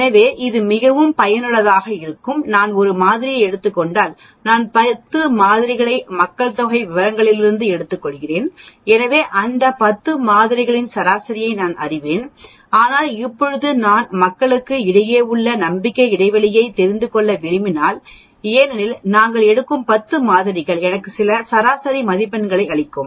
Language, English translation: Tamil, So this also very useful, if I am taking a sample, if I take 10 samples from a population, so I will know the mean of those 10 samples but now I want to know, what is an estimate of the confidence interval for the population because the 10 samples which we take will give me some mean but that will not be the exact population mean right because if I had taken another 10 samples I would have got another mean, if I take another 10 samples I will get another mean and so on but they are not real representation of my population mean